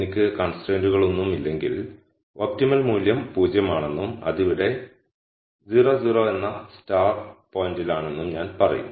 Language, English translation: Malayalam, So, if I had no constraints I would say the optimum value is 0 and it is at 0 0 the star point here